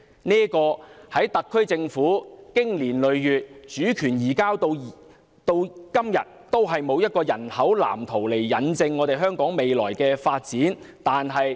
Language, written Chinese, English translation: Cantonese, 在這方面，特區政府經年累月，從主權移交至今，從沒有提出人口藍圖來印證香港未來的發展。, In this connection for the many years after the handover the SAR Government has never put forth a population blueprint to substantiate the future development of Hong Kong